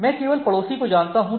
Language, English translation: Hindi, So, I only know the neighbor